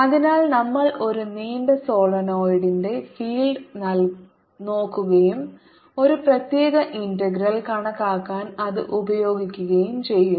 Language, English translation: Malayalam, so we are looking at the field of a long solenoid and use that to calculate a particular integral